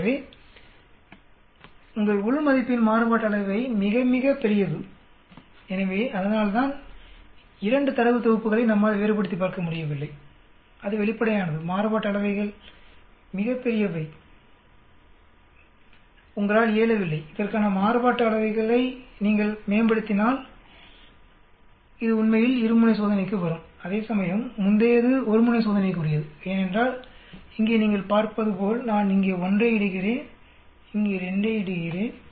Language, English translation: Tamil, So your variance of the within is very very large so obviously because of that we are not able to differentiate between the 2 data sets, that is obvious, the variances are very large, you are not able to if you improve on the variances for this is, this is coming out for a two tailed test actually, whereas the previous it is for one tailed test because here as you can see I put 1 here where as here I put 2